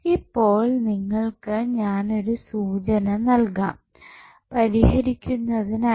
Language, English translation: Malayalam, So, I will just give you the clue that how you will solve it